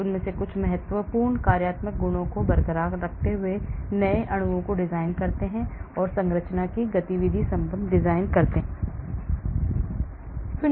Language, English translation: Hindi, so, I design new molecules by retaining certain important functional properties, I design structure activity relationship